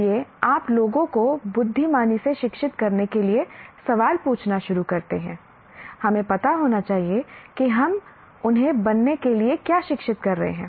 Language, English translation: Hindi, So you start asking the question, to educate people wisely, we must know what we educate them to become